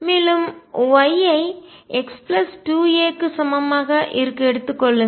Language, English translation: Tamil, And take y to be equal to x plus 2 a